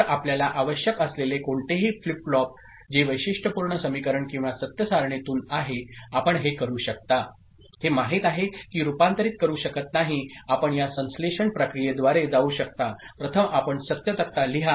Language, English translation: Marathi, So, any flip flop that you require which is from the characteristic equation or truth table, you can, you know directly cannot convert ok, you can go through this synthesis process, first you write the truth table